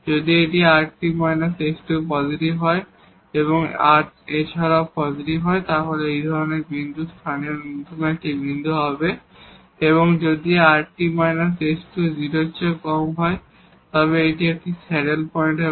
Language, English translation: Bengali, If this rt minus s square is positive and r is also positive then, such point will be a point of a local minimum and if rt minus s square is less than 0 then this will be a saddle point